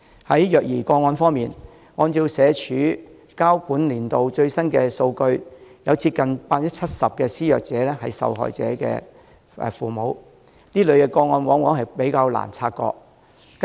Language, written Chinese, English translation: Cantonese, 在虐兒個案方面，按照社署提交的本年度最新數據，有接近 70% 的施虐者為受害人的父母，而這類個案往往比較難察覺。, As regards child abuse cases according to the latest statistics of this year submitted by SWD nearly 70 % abusers were parents of the victims and this type of cases are often more difficult to detect